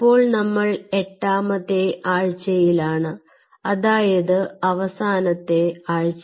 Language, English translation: Malayalam, so today we are into the eighth week, which is, ah, essentially the final week of it